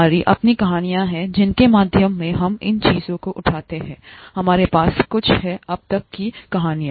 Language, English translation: Hindi, We have our own stories through which we pick up these things; we have had a few stories so far